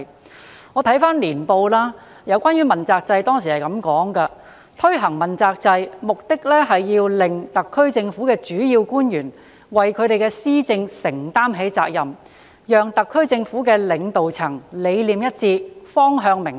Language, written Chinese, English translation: Cantonese, 我翻閱《香港2001》年報，當中有關主要官員問責制的章節指出：推行問責制的目的是要令特區政府的主要官員為其施政承擔起責任；讓特區政府的領導層理念一致，方向明確。, I have read Hong Kong 2001 in which it is pointed out in the chapter on the accountability system for principal officials The purpose of introducing an Accountability System is to enable Principal Officials of the HKSAR Government to assume responsibility for their policy portfolios to share a common agenda and to have clear directions